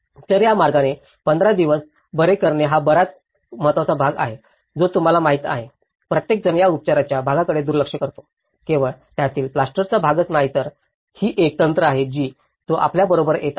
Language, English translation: Marathi, So, in that way curing it for 15 days, the curing is most important part you know, everyone ignores this curing part, it is only not just only the plaster part of it so, these are some few techniques which he comes up with you know how to retrofit these things